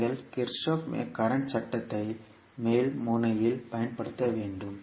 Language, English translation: Tamil, You have to apply the Kirchhoff current law at the top node